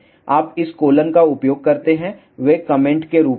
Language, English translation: Hindi, You use this colon they are in comment form